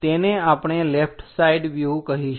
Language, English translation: Gujarati, This is what we call left side view